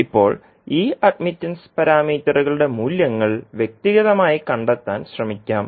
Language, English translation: Malayalam, Now, let us try to find out the values of these admittance parameters individually